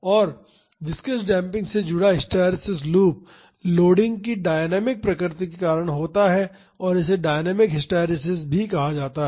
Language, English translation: Hindi, And, the hysteresis loop associated with viscous damping is due to the dynamic nature of the loading and this is called dynamic hysteresis